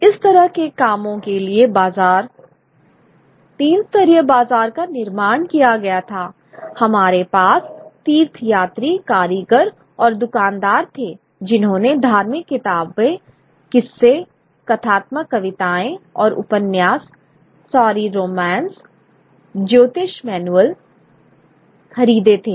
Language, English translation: Hindi, The market for these kind of works that were produced where this is a three tiered market we had the pilgrims, the artisans and the shopkeepers who purchased religious books, kiss our stories, narrative poems and novels, sorry, romances, the astrology manuals